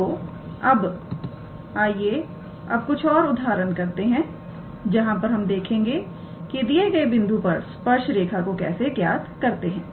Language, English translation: Hindi, So, now let us work out an example where we see how we can calculate the tangent line at a given point